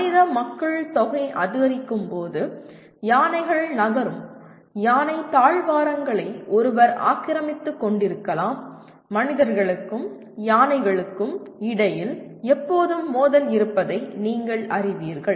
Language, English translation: Tamil, And when the human populations increase, one may be encroaching on to the elephant corridors through which the elephants move and once you cross that there is always a conflict between humans and elephants